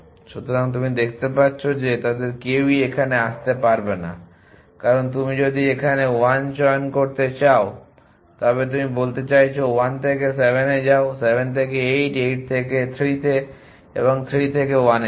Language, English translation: Bengali, So, you can see that neither of them can come here, because if you go to choose 1 here then you saying form 1 go to 7, from 7 go to 8 from 8 go to 3 and from 3 go to 1